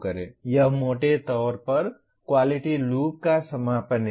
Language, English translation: Hindi, This is broadly the closing of the quality loop